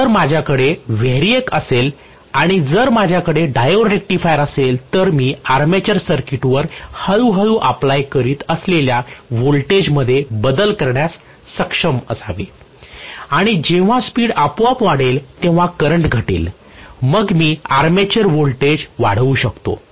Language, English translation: Marathi, So if I have a variac and if I have a diode rectifier, I should be able to modify the voltage that I am applying to the armature circuit slowly and then as the speed builds up automatically the current would fall then I can increase the armature voltage itself